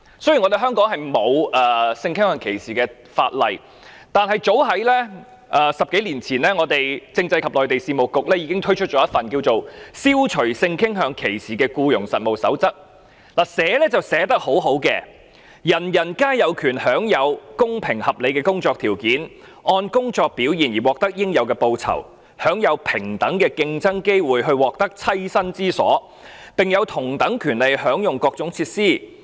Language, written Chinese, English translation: Cantonese, 雖然香港沒有關於性傾向歧視的法例，但是早於10多年前，政制及內地事務局已經推出一份《消除性傾向歧視僱傭實務守則》，寫得很好的："人人皆有權享有公平合理的工作條件，按工作表現而獲得應有的報酬，享有平等的競爭機會去獲得棲身之所，並有同等權利享用各種設施。, Although there is no legislation against discrimination on the ground of sexual orientation in Hong Kong the Constitutional and Mainland Affairs Bureau introduced the Code of Practice against Discrimination in Employment on the Ground of Sexual Orientation the Code as early as more than 10 years ago which is well written All human beings have a right to just and equitable conditions of work to be rewarded for their work on the basis of their merits to compete on equal terms for a place to live and to enjoy access to facilities on the same basis